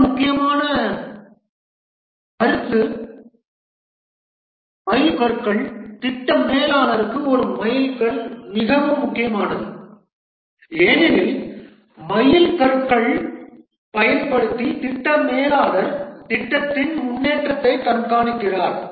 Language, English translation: Tamil, A milestone is very important for the project manager because using the milestones the project manager keeps track of the progress of the project